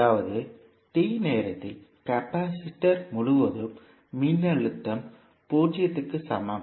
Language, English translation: Tamil, That means the voltage across capacitor at time t is equal to 0